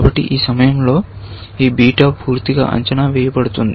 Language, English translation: Telugu, So, at this point, this beta is completely evaluated